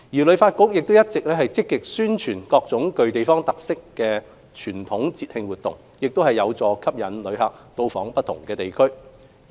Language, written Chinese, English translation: Cantonese, 旅發局亦一直積極宣傳各種具地方特色的傳統節慶活動，亦有助吸引旅客到訪不同地區。, HKTB has been promoting various activities in relation to traditional festivals with local distinctive characteristics which can also entice tourists to patronize different districts of Hong Kong